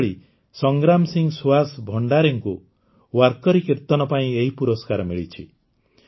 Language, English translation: Odia, On the other hand, Sangram Singh Suhas Bhandare ji has been awarded for Warkari Kirtan